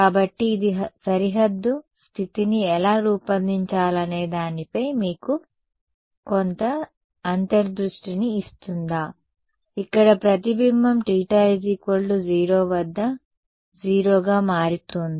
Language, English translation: Telugu, So, does this give you some insight into how to design a boundary condition, here the reflection is becoming 0, at theta equal to 0